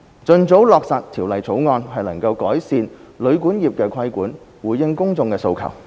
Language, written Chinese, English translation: Cantonese, 盡早落實《條例草案》，能夠改善旅館業的規管，回應公眾的訴求。, An early implementation of the Bill can improve the regulation on hotel and guesthouse accommodation as well as respond to public aspirations